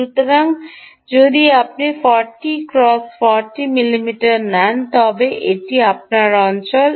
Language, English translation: Bengali, so if you take forty mm, cross forty mm, ok, that is your area